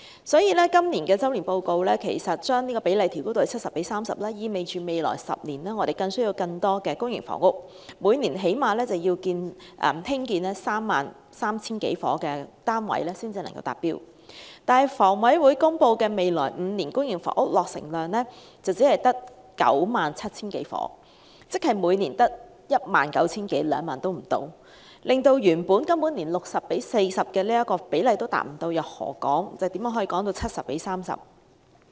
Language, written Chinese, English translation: Cantonese, 所以，今年的周年進度報告把比例調高至 70：30， 意味未來10年需要更多公營房屋，每年最少要興建 33,000 多個單位才能達標，但香港房屋委員會公布未來5年公營房屋落成量只有 97,000 多個單位，即每年只有不足2萬個單位，根本連原本 60：40 的比例都無法達到，又何來 70：30 呢？, This upward adjustment of the ratio to 70col30 announced in the Annual Progress Report signifies a higher demand of public housing in the next 10 years . At least some 33 000 units have to be built annually in order to meet the target . However according to the Hong Kong Housing Authority the estimated total public housing production in the next five years is some 97 000 units that is less than 20 000 units per year which will fail to meet even the original 60col40 target let alone the 70col30